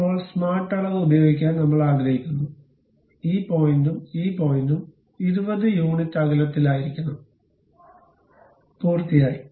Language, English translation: Malayalam, Now, I would like to use smart dimension, this point and this point supposed to be at 20 units of distance, done